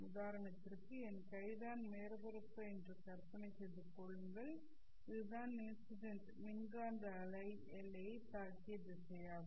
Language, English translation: Tamil, I will imagine that this my hand is the surface and this is the direction in which the incident electromagnetic wave has hit the boundary